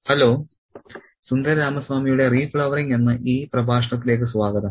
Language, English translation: Malayalam, Hello and welcome back to this lecture on Sundaramami's re flowering